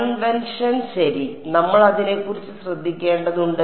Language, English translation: Malayalam, Convention ok, we have to be careful about that